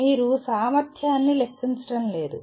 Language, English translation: Telugu, You are not calculating the efficiency